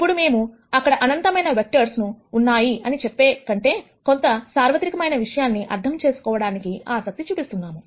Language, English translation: Telugu, Now, we might be interested in understanding, something more general than just saying that there are infinite number of vectors here